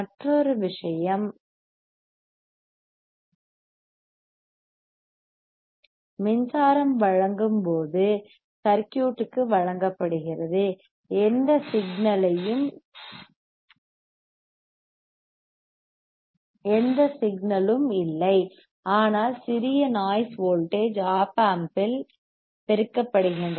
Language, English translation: Tamil, Another point is, when the power supply is given to the circuit, there is no signngleal, byut the small noise voltages aore amplifiedr by the Op amp